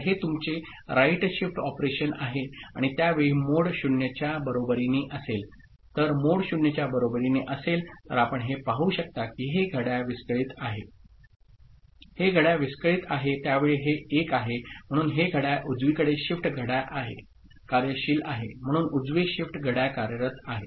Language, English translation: Marathi, So, that is your right shift operation and at that time when mode is equal to 0 right, mode is equal to 0 you can see that this clock is defunct ok; this clock is defunct right at that time this is 1, so this clock is, right shift clock is functional ok, so right shift clock is functional